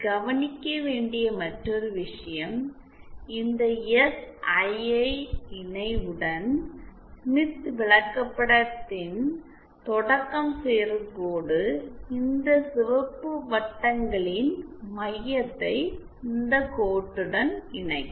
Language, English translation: Tamil, Other thing to note as I had said the line joining the origin of the smith chart to this SII conjugate the center of all these red circles will lie along this line